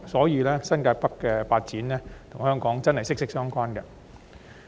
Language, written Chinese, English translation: Cantonese, 因此，新界北發展確實與香港息息相關。, Thus the development of New Territories North is closely related to Hong Kong indeed